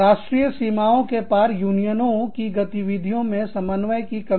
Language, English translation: Hindi, A lack of co ordination of activities by unions, across national boundaries